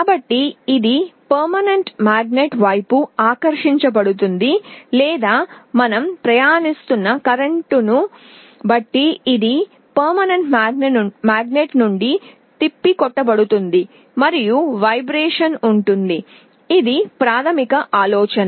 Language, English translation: Telugu, So, it will either be attracted towards the permanent magnet or it will be repelled from the permanent magnet depending on the kind of current we are passing, and there will be a vibration this is the basic idea